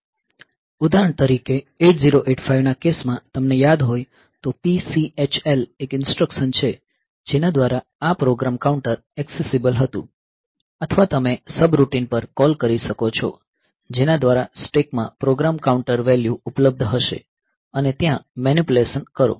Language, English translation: Gujarati, For example, in case of 8085 you remember there is an there was an instruction PCHL by which this program counter was accessible or you can make some call to a subroutine by which a program counter value will be available in the stack and do the manipulation there